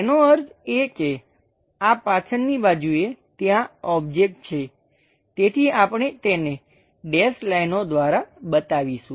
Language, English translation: Gujarati, That means, these back side there is a object, so we show it by dashed lines